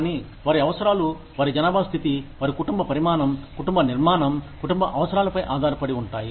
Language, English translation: Telugu, But, their needs would depend, on their demographic status, their family size, family structure, family needs